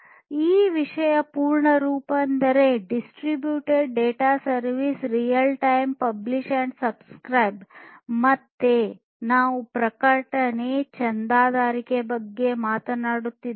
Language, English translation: Kannada, So, the full form of this thing is Distributed Data Service Real Time Publish and Subscribe; again we are talking about publish/subscribe